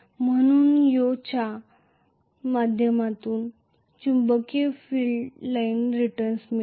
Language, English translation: Marathi, So, the Yoke through the Yoke it returns the magnetic field line return